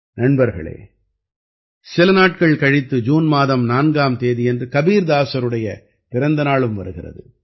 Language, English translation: Tamil, Friends, a few days later, on the 4th of June, is also the birth anniversary of Sant Kabirdas ji